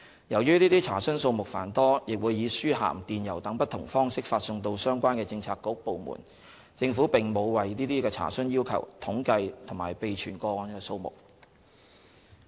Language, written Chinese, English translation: Cantonese, 由於這些查詢數目繁多，亦會以書函、電郵等不同方式發送到相關的政策局/部門，政府並沒有為這些查詢要求統計及備存個案數目。, As these requests are numerous and sent to bureauxdepartments concerned by different channels such as mail and email the Government does not take stock of and record the number of such requests and enquiries